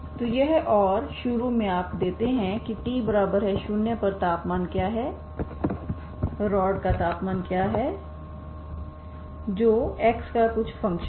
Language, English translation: Hindi, So this and the initially you give what is the temperature at t equal to 0 what is the temperature of the rod that is some function of x